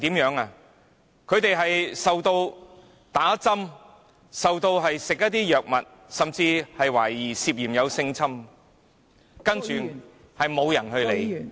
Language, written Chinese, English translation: Cantonese, 他們被打針、被餵吃藥物，甚至懷疑涉及性侵犯，卻沒有人理會......, Those kids were purportedly given injections and administered drugs while some were even suspected of being sexually abused . Yet it seems that no one had ever taken care of all these issues